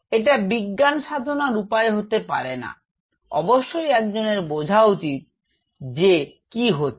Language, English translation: Bengali, That is not the way to do the science one has to understand the basic concepts what is happening